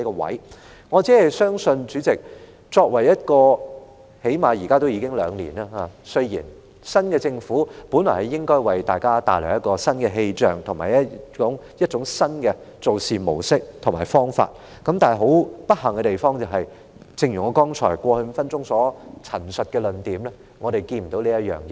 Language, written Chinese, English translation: Cantonese, 現屆政府至今已上任兩年了，新政府本來應為大家帶來新氣象，以及新的做事模式和方法，但很不幸的地方，正如我過去5分鐘所陳述的論點，是我們看不到有這種情況出現。, Deputy Chairman I just believe that as a the current - term Government has been in office for two years now; as a new Government it should have brought a breath of fresh air to everyone together with new practices and methods but unfortunately as I have argued in the past five minutes we do not see this happening